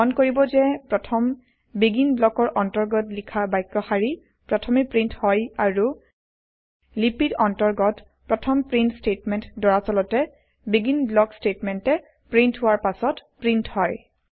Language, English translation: Assamese, Notice that The line written inside the first BEGIN block gets printed first and The first print statement in the script actually gets printed after the BEGIN block statements